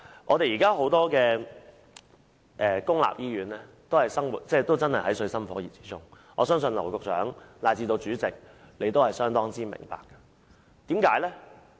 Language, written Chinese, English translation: Cantonese, 目前，多間公立醫院都水深火熱，我相信劉局長以至主席都相當明白這一點。, At present the situation of many public hospitals is distressing and I believe Secretary James Henry LAU and the President are well aware of the situation